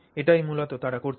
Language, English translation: Bengali, That's essentially what they make